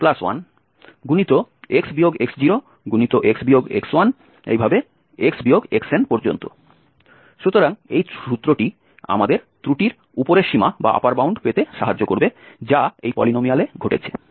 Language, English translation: Bengali, So, this formula will help us to get the upper bound of the error, which occurs in this polynomial